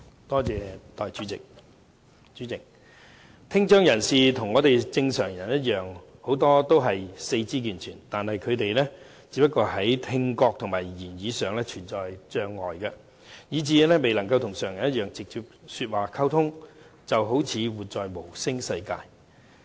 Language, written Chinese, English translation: Cantonese, 代理主席，很多聽障人士與正常人一樣，都是四肢健全，他們只不過是在聽覺和言語上存有障礙，以致未能與常人直接說話溝通，好像活在無聲世界中。, Deputy President many people with hearing impairment are as able - bodied as normal people except that they are unable to have direct spoken communications with normal people because of the barriers posed by their hearing and speech impairment . They are living in a world of silence